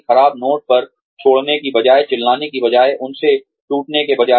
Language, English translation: Hindi, Instead of leaving on a bad note, instead of quitting, instead of shouting, instead of breaking off, from them